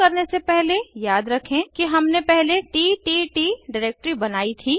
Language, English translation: Hindi, Before we begin, recall that we had created ttt directory earlier